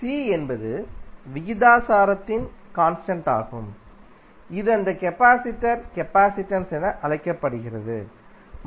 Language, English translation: Tamil, C is the constant of proportionality which is known as capacitance of that capacitor